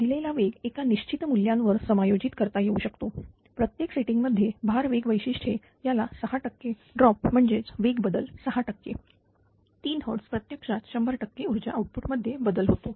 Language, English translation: Marathi, At a given speed may be adjusted to any desired value, for is setting the speed load characteristic has a 6 percent group that is a speed change of 6 percentage 3 hertz causes actually 100 percent change in power output